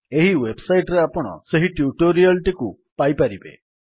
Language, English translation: Odia, You can find the tutorial at this website